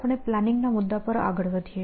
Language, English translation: Gujarati, So, today we move on to this topic on planning